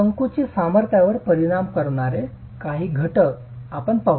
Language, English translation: Marathi, Let's examine a few factors that affect the compressive strength